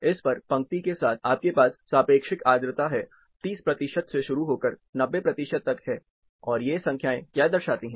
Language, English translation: Hindi, On this, along the row, you have relative humidity stating, starting from 30 percentage going all the way up to 90 percentage, and what these numbers represent